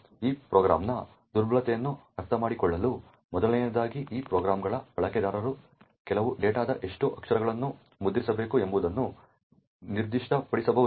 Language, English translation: Kannada, In order to understand the vulnerability of this program, firstly the user of this program can specify how many characters of some data he needs to print